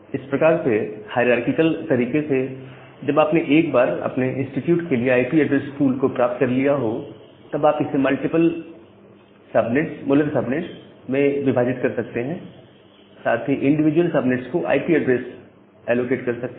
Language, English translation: Hindi, So, that way in a hierarchical way, you can once you are getting a pool of IP addresses for your institute, you can divide it into multiple molar subnets, and allocate the IP addresses to the individual subnets